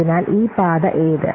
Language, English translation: Malayalam, So, this is one path